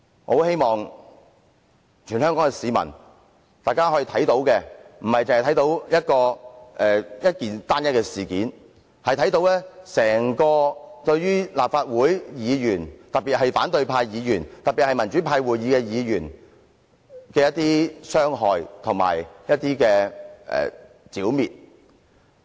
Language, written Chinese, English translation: Cantonese, 我希望全港市民不會只視這為單一事件，而是會看到這對於立法會議員，特別是反對派議員和民主派會議的議員來說，是一種傷害和剿滅。, I hope that all Hong Kong people will not just regard this as an isolated incident but will realize that this is an attempt to hurt and eliminate Members of the Legislative Council especially Members from the opposition camp and the pro - democracy caucus